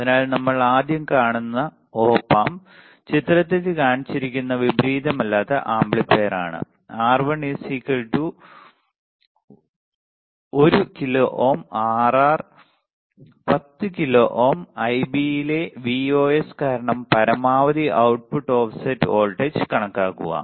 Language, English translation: Malayalam, So, Op Amp characteristic we are looking at as an example first is for the non inverting amplifier shown in figure this one, R1 is 1 kilo ohm Rf equals to 10 kilo ohm calculate the maximum output offset voltage due to Vos in Ib